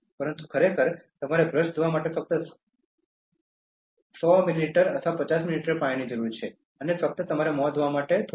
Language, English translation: Gujarati, But actually, you need only 100 ml or 50 ml to wash the brush and little bit for just washing your mouth